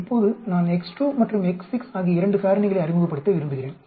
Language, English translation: Tamil, Now I want to introduce 2 more factors x 5 and x 6